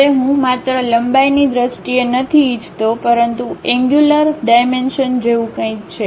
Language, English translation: Gujarati, Now, I do not want only in terms of length, but something like angular dimensions I would like to have it